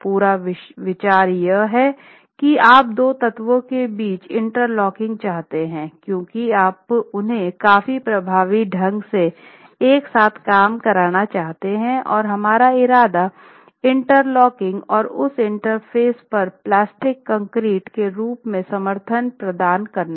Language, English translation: Hindi, The whole idea is that you want interlocking between the two elements because you want them to work together quite effectively and the intention is to have shear interlocking achieved at that interface as plastic concrete is poured there and hardens